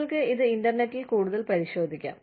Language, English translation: Malayalam, You can look up this more, on the internet